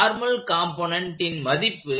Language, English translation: Tamil, The normal component is 1